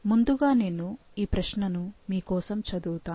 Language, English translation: Telugu, So, let me read the question for you